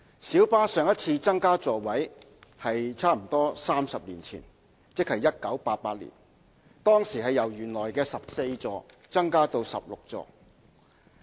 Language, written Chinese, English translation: Cantonese, 小巴對上一次增加座位數目差不多是在30年前，即1988年，當時由原來的14座增加至16座。, The seating capacity of light buses was last increased almost 30 years ago ie . in 1988 when the number of seats was increased from the former 14 to 16